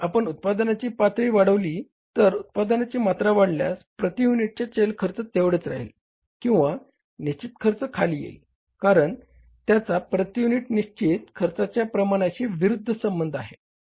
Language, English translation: Marathi, If you increase the level of production if the volume of production goes up, variable cost per unit remains the same but fixed cost comes down because it has a inverse relationship with the volume fixed cost per unit